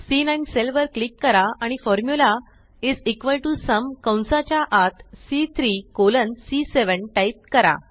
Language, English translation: Marathi, Click on the cell referenced as C9 and enter the formula is equal to SUM and within braces C3 colon C7